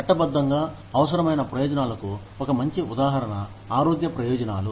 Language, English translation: Telugu, One very good example of legally required benefits is health benefits